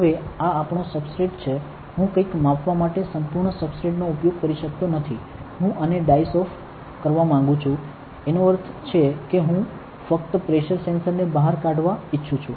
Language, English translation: Gujarati, Now, this is our substrate, I cannot use the entire substrate for measuring something right I want to dice this off, that means, I just want a pressure sensor to be out